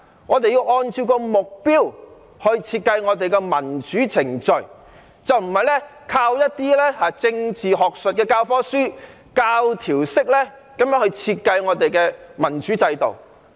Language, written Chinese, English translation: Cantonese, 我們要按照目標來設計民主程序，而不是靠一些政治學術教課書，教條式地設計民主制度。, We must design our democratic process having regard to our goals rather than relying on some academic textbooks on politics to design our democratic system in a dogmatic manner